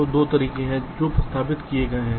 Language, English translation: Hindi, so there are two ways that have been proposed